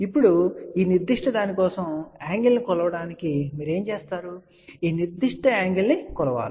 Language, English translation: Telugu, Now, for this particular thing to measure the angle, what you do; you measure this particular angle ok